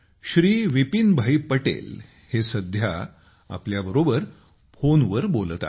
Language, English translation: Marathi, Shriman Vipinbhai Patel is at the moment with us on the phone line